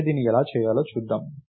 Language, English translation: Telugu, So, lets see how to do that